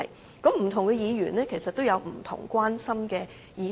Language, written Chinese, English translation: Cantonese, 事實上，不同議員有不同關心的議題。, Actually different Members will have concerns about different issues